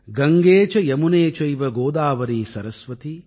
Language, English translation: Tamil, Gange cha yamune chaiva Godavari saraswati